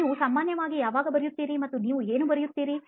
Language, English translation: Kannada, When do you generally write and what do you write